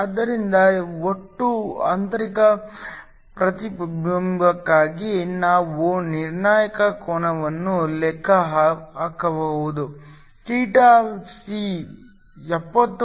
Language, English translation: Kannada, So, We can calculate the critical angle for total internal reflection; theta c comes out to be 70